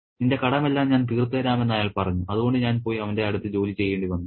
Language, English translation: Malayalam, He said, I'll clear all your debts and I had to go and work for him